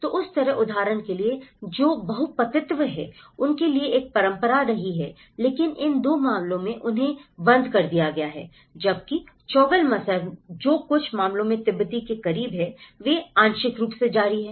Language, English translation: Hindi, So, like that, like for example the polyandry which has been a tradition for them but that has been discontinued in these 2 cases but whereas, in Choglamsar which is close to the Tibetan in some cases they have partially continued